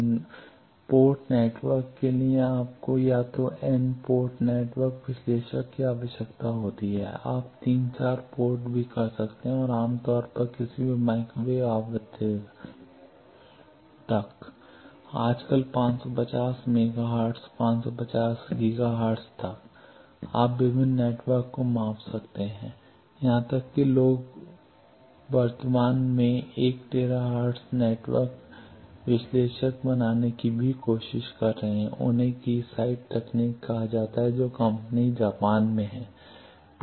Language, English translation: Hindi, For an n port network you need an either an N network analyzer you can 3 4 ports are also there and typically up to any microwave frequency nowadays even 550 mega hertz, 550 Giga hertz up to that you can measure various networks the thing even people are trying to build up 1 tera hertz network analyzer in packet company presently they are called Keysight technologies that company has in Japan